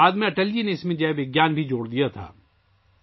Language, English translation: Urdu, Later, Atal ji had also added Jai Vigyan to it